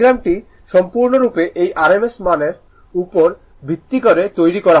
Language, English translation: Bengali, This all this diagram is completely based on this rms value